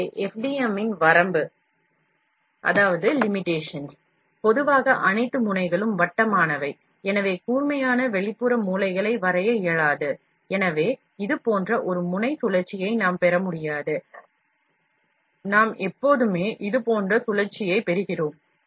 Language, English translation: Tamil, So, the limitation of FDM; generally, all nozzles are circular and therefore, it is impossible to draw sharp external corners, so, we cannot get a nozzle orifice like this, we always get orifice like this